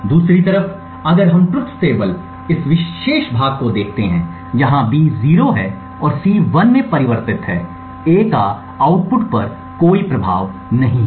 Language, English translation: Hindi, On the other hand if we look at this particular part of the truth table, where B is 0 and C is 1 the change in A has no effect on the output